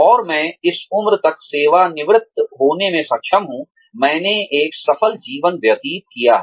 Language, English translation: Hindi, And, I am able to retire by this age, I have led a successful life